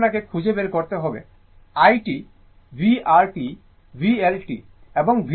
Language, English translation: Bengali, So, you have to find out I t, v R t, v L t, and v C t right